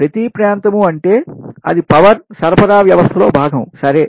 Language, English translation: Telugu, each area means it is part a power supply system, right